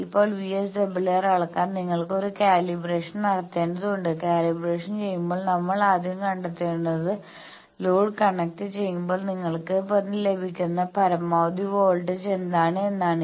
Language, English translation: Malayalam, Now, to make VSWR measurement you need to do a calibration that calibration is you you first find out in when we have connected the load what is the maximum voltage you are getting now v max now you there are gain knobs and others in the VSWR meter